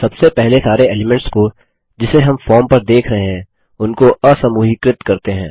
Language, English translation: Hindi, Let us first Ungroup all the elements we see on the form